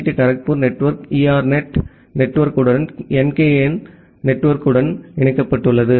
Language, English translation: Tamil, So, for example, IIT Kharagpur network is connected to ERNET network as well as NKN network